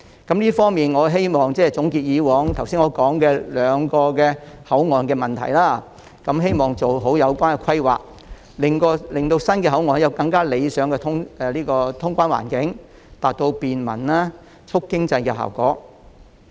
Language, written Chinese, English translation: Cantonese, 但願在總結剛才提到過往在兩個口岸出現的問題後，政府可做好相關規劃，令新口岸有更加理想的通關環境，達到便民及促進經濟的效果。, It is also my wish that by drawing lessons from the problems encountered previously at the two boundary control points as mentioned just now the Government will make better planning in upgrading the clearance environment at the redeveloped Huanggang Port so as to achieve the goals of bringing convenience to the people and promoting the economy